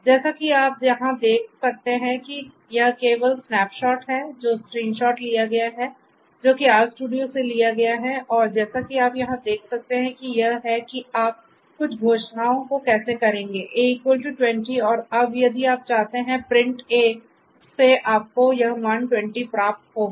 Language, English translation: Hindi, So, as you can see over here this is just as snap shot that is taken screenshot that is taken from the RStudio and as you can see over here this is how you will make certain declarations A equal to 20 and now then if you want to print A you get this value 20